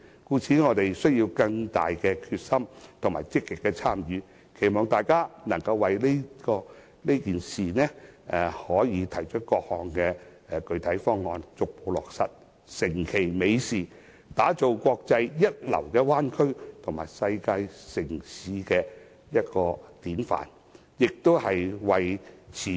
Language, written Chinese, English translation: Cantonese, 所以，我們要有更大決心、積極參與，期望大家能為此事提出各項具體方案，逐步落實，成其美事，打造國際一流的灣區及世界城市的典範，更為持續香港經濟優勢......, We must therefore participate in the process more actively and with greater resolve . I hope all of us can put forward concrete proposals and I also hope that as these proposals are put into practice step by step we can bring to fruition this very worthwhile venture of building a world - class bay area with exemplary world cities while maintaining Hong Kongs economic advantages